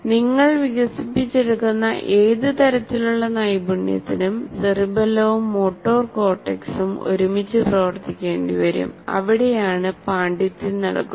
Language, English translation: Malayalam, Any kind of skill that you develop the cerebellum and the motor cortex will have to work very closely together and that is where the mastery has to take place